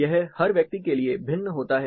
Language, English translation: Hindi, It varies from person to person